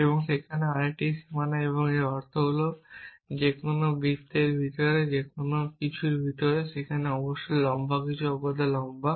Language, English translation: Bengali, And another boundary here and the meaning of this is that anybody inside anything inside the any circle is definitely tall necessarily tall